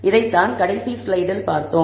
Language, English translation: Tamil, So, this is what we saw in the last slide